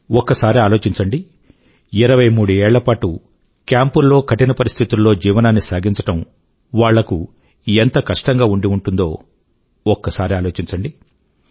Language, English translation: Telugu, Just imagine, how difficult it must have been for them to live 23 long years in trying circumstances in camps